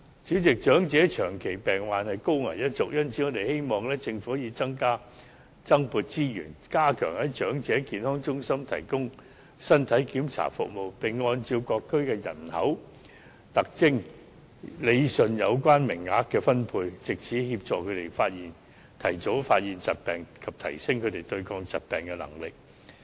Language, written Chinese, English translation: Cantonese, 主席，長者屬長期病患的高危一族，因此我們希望政府可以增撥資源，加強在長者健康中心提供身體檢查服務，並按照各區的人口特徵，理順有關名額的分配，藉此協助他們提早發現疾病，以及提升他們對抗疾病的能力。, President elderly people are vulnerable to chronic diseases so we hope the Government can allocate additional resources for enhancing the provision of body check services at Elderly Health Centres and rationalize quota distribution based on the demographic features of various districts so as to assist them in detecting illnesses earlier and enhance their resilience